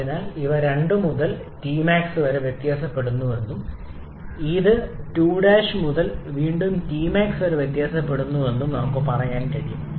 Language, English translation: Malayalam, So, we can say that these varies from 2 to T Max and this one varies from 2 prime to again to T max